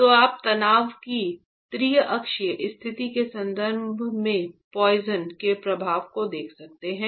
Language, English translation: Hindi, So, we are looking at the poisons effect with respect to the triaxial state of stress